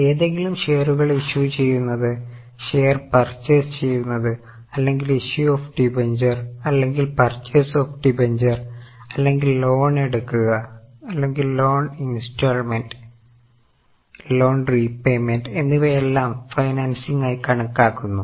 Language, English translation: Malayalam, Any issue of shares or purchase of shares or any issue of debentures or purchase of debentures or taking of loan or repayment of loan, paying installment of loan is all considered as financing